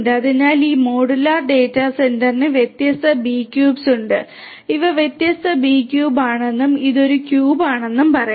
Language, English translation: Malayalam, So, this modular data centre has different B cubes each of let us say that these are the different B cubes and this is one cube, like that you can have other cubes and so on